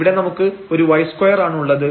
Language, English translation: Malayalam, So, it means y is equal to 0